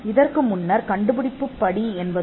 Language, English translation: Tamil, Now, the earlier before we had a inventive step as a requirement